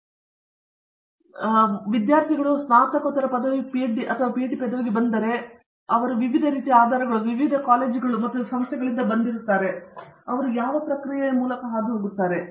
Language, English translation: Kannada, So, when, see students come in for Post Graduate degree, a Masters degree and PhD degree they come in with some variety of different back grounds, different colleges and institutions from which they come in and then they go through this process